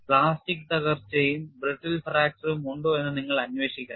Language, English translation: Malayalam, You have to investigate whether that could be plastic collapse as well as brittle fracture possible